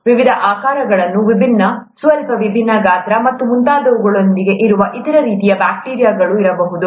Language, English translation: Kannada, There could be other kinds of bacteria that are present with different shapes, different, slightly different size, and so on so forth